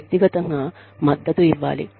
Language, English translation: Telugu, Giving them support